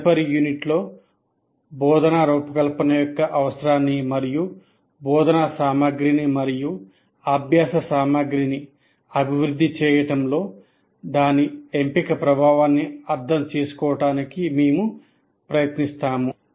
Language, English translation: Telugu, And in the next unit, we will try to understand the need for instruction design and the influence of its choice and developing the instruction material and learning material